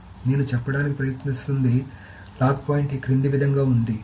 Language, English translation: Telugu, So what I am trying to say is the lock point is the following